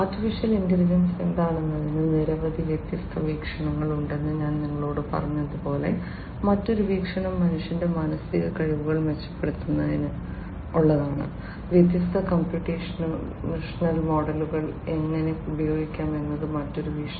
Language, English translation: Malayalam, Another viewpoint as I told you that there are many different viewpoints of what AI is; another viewpoint is how we can use how we can use the different computational models to improve the mental faculties of humans is what again AI can do